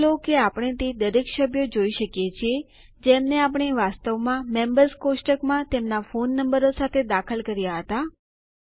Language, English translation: Gujarati, Notice that we see all the four members that we originally entered in the Members table along with their phone numbers